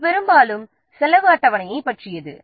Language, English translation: Tamil, This is something about the cost schedule